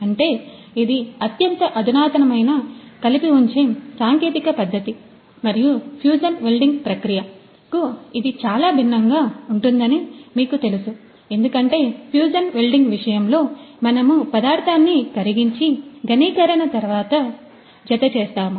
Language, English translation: Telugu, So, it means it is the most advanced you know the joining technique and you know it is quite different from this the fusion welding process because in case of fusion welding we melt the material and then after that it gets you know the after solidification you gets the joint and all